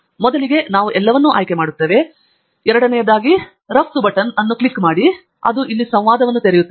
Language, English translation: Kannada, so first we select all of them, the second is to click on the export button and that will open up a dialog